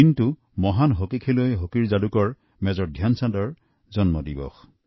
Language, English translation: Assamese, This is the birth anniversary of the great hockey player, hockey wizard, Major Dhyan Chand ji